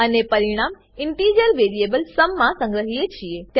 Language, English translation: Gujarati, And store the result in integer variable sum